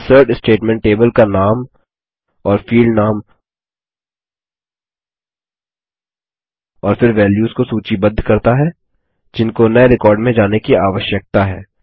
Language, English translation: Hindi, The INSERT statement lists the table name and the field names and then the Values that need to go into the new record